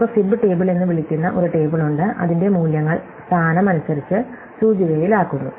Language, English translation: Malayalam, So, we have a table which we call fib table, whose values are indexed by the position